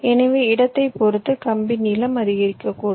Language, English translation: Tamil, so depending on the placement, your wire length might increase